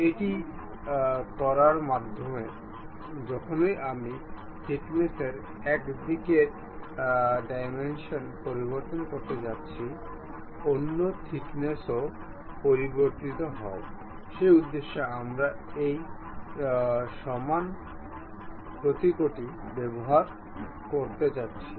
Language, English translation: Bengali, By doing that, whenever I am going to change dimension of one side of the thickness; the other thickness also changes, for that purpose we are going to use this equal symbol